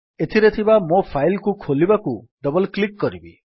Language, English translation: Odia, Let me open this file by double clicking on it